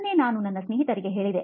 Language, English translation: Kannada, That’s what I told my friend